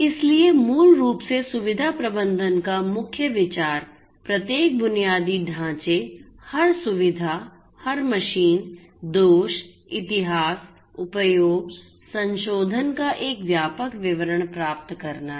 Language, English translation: Hindi, So, basically the key idea of facility management is to get an a comprehensive detail of each and every infrastructure every facility every machine, the faults, the history, usage, modification